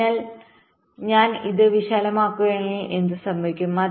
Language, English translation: Malayalam, so if i make it wider, what will happen